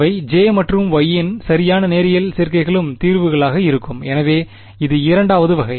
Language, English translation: Tamil, They will also be solutions right linear combinations of J and Y will also be solutions, so that is the second type